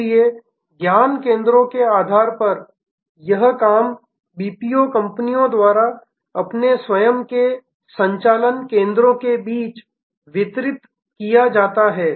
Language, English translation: Hindi, So, on the basis of knowledge centers this work is distributed by the BPO companies among their own different centers of operation